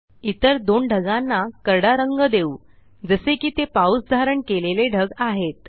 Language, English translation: Marathi, Lets color the other two clouds, in gray as they are rain bearing clouds